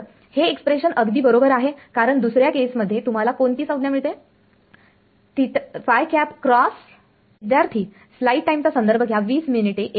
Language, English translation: Marathi, Well that the expression is correct because in the other case what term do you get phi cross